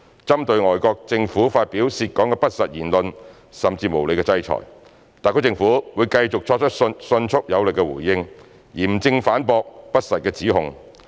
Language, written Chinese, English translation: Cantonese, 針對外國政府發表涉港的不實言論，甚至無理的制裁，特區政府會繼續作出迅速有力回應，嚴正反駁不實指控。, In the face of false claims about Hong Kong or even unreasonable sanctions by foreign governments the SAR Government will continue to give quick and strong response by solemnly refuting any unfounded accusations